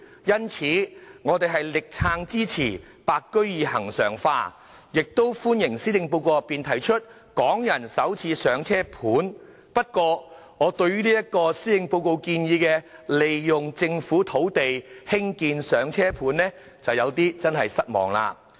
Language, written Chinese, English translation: Cantonese, 因此，我們會全力支持"白居二"恆常化，亦歡迎施政報告內提出的"港人首次上車盤"，但我對於施政報告建議利用政府土地興建"上車盤"就有點失望了。, Hence we will render our full support to the regularization of the Interim Scheme of Extending the Home Ownership Scheme Secondary Market to White Form Buyers . We also welcome the Starter Homes Pilot Scheme for Hong Kong Residents proposed in the Policy Address although I was a bit disappointed by the fact that the Policy Address proposed to build Starter Homes on Government land